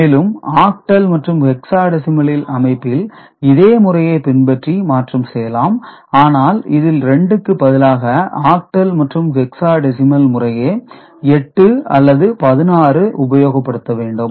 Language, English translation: Tamil, And for octal and hexadecimal system, the processes similar for the conversion but instead of 2 we are using 8 or 16 for octal and hexadecimal, respectively